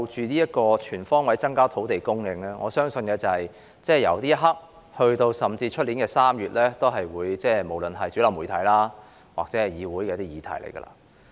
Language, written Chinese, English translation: Cantonese, 關於"全方位增加土地供應"，我相信由此刻直至明年3月，也會是主流媒體及議會的議題。, I believe from now on until March next year the issue of increasing land supply on all fronts will become a heated topic among the mainstream media and this Council